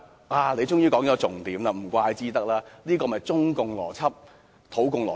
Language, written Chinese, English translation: Cantonese, "他終於說出重點，怪不得，這就是中共邏輯、土共邏輯。, He finally pointed out the salient point . I am not surprised . This is the logic of the Chinese Communists and local communists